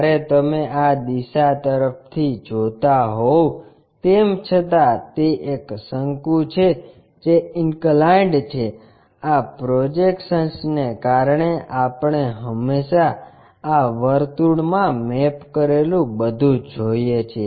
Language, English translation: Gujarati, When you are looking from this direction though it is a cone which is inclined, but because of this projection we always see everything mapped to this circle